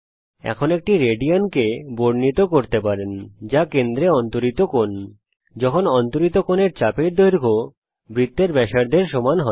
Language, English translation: Bengali, Now one radian is defined to be the angle subtended at the center when the length of the arc subtending the angle is equal to the radius of the circle